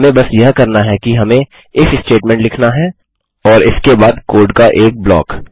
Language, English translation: Hindi, All we want to do is we have to say is if statement and a block the code after that